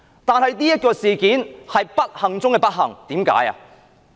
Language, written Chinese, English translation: Cantonese, 但是，這件事件是不幸中的不幸。, However this unfortunate incident took a turn for the worse